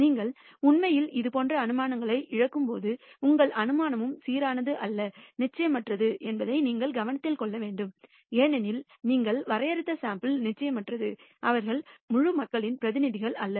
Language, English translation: Tamil, You have to note that when you actually lose such inferences, your inference is also stochastic or uncertain because the sample that you have drawn are also uncertain; they are not representative of the entire population